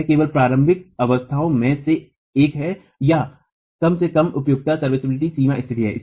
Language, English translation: Hindi, It is only one of the initial states or at least a serviceability limit state